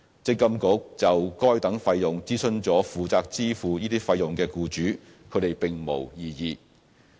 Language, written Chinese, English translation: Cantonese, 積金局就該等收費諮詢了負責支付這些費用的僱主，他們並無異議。, MPFA consulted employers paying these fees and received no adverse comments